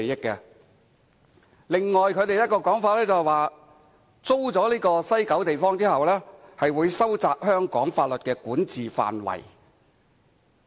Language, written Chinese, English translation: Cantonese, 此外，他們的另一個說法，是租出西九地方後，便會收窄香港法律的管轄範圍。, Furthermore another of their argument is that leasing out an area in West Kowloon will reduce the size of the territory under Hong Kongs jurisdiction